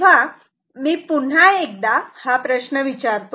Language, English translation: Marathi, So, once again let us first, so, ask the question